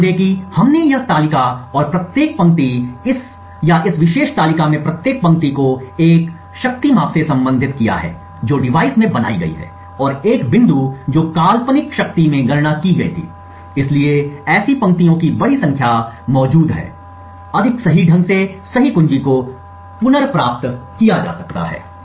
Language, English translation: Hindi, Note that we had taken this table and each line in this or each row in this particular table corresponds to one power measurement that is made in the device and one point in the hypothetical power that was computed, so the larger number of such rows present, the more accurately the key can be recovered correctly